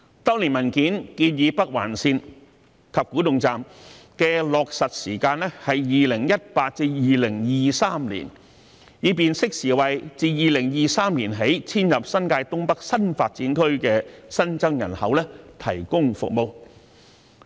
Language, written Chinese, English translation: Cantonese, 當年文件建議北環綫及古洞站的落實時間是2018年至2023年，以便適時為自2023年起遷入新界東北新發展區的新增人口提供服務。, The document back then suggested an implementation window between 2018 and 2023 for the Northern Link and Kwu Tung Station with a view to serving the new population intake in NDAs in Northeast New Territories from 2023